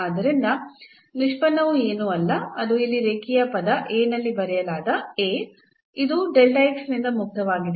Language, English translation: Kannada, So, the derivative is nothing, but this A which is written here in the linear term A which is free from delta x